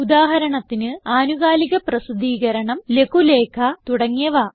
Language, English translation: Malayalam, For example a periodical, a pamphlet and many more